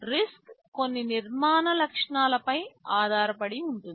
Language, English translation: Telugu, RISC is based on some architectural features